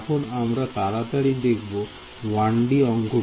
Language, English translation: Bengali, So, we will take a quick look at a 1D problem ok